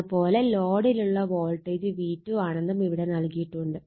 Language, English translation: Malayalam, And this is the voltage that was the load is V 2